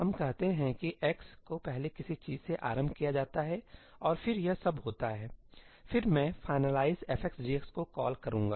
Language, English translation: Hindi, Let us say that x is initialized to something first and then all of this happens ; then I call ëfinalize f x g xí